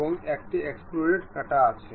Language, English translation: Bengali, Now, have a extruded cut